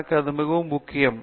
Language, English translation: Tamil, For me this is most important